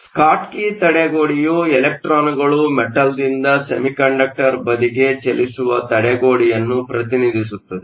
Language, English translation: Kannada, The Schottky barrier represents the barrier for the electron to move from the metal to the semiconductor side